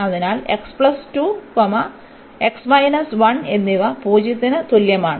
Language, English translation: Malayalam, So, x is equal to 0 to a